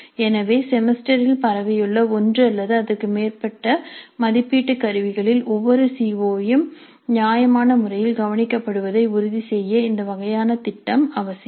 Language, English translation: Tamil, So this kind of a plan is essential in order to ensure that every CO is addressed reasonably well in one or more assessment instruments spread over the semester